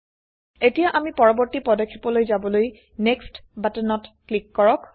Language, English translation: Assamese, OK, let us go to the next step now, by clicking on the Next button at the bottom